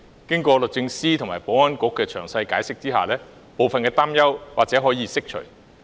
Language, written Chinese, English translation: Cantonese, 經過律政司和保安局的詳細解釋，部分擔憂或可釋除。, After detailed explanations were given by the Department of Justice and the Security Bureau some of the worries might be dispelled